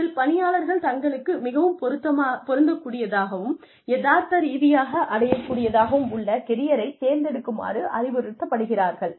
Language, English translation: Tamil, And, in this, the employees are advised to choose careers, that are realistically obtainable, and a good fit